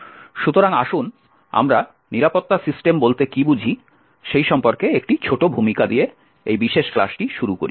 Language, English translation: Bengali, So, let us start this particular class with a small introduction about what we mean by Security Systems